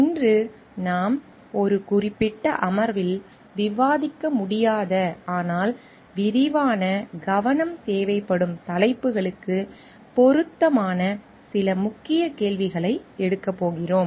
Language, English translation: Tamil, Today we are going to take up certain key questions which are relevant to the topics which may be we could not discuss in a particular session, but which requires extensive focus